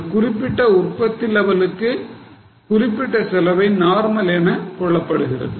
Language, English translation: Tamil, Now, for a certain level of output, certain costs are considered as normal